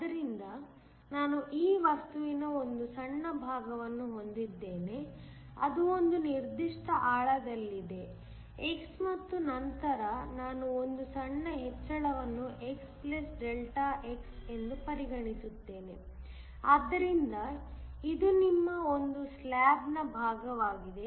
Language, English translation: Kannada, So, I have a small portion of this material which is at a certain depth x and then I consider a small increment x + Δx, so this is just a portion of you are slab